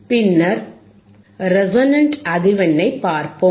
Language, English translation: Tamil, What is the resonant frequency